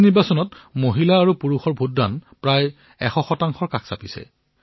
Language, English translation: Assamese, This time the ratio of men & women who voted was almost the same